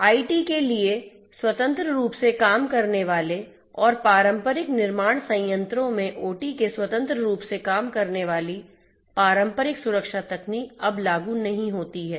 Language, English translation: Hindi, Traditional security techniques working independently for IT and working independently of OT in the traditional manufacturing plants are no more applicable